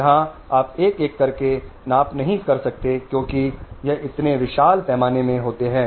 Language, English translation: Hindi, Here you can't measure one by one because it's in such a vast scale